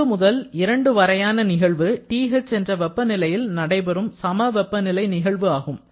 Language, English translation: Tamil, This second process 1 to 2 is an isothermal process performed at the temperature TH